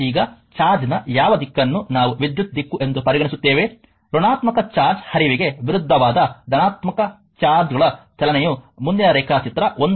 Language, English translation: Kannada, Now, which direction of the charge we will consider the direction of the current, convention is to take the current flow as the movement of the positive charges that is opposite to the flow of negative charge is as shown in next figure 1